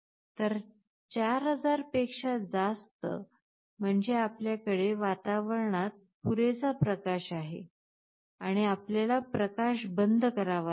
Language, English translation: Marathi, So, greater than 4000 means we have sufficient light in the ambience, and we have to switch OFF the light